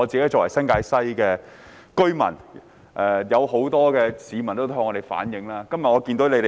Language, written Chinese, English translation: Cantonese, 我作為新界西的居民，很多市民都曾向我反映這問題。, As a resident of New Territories West I have received complaints from many citizens on this problem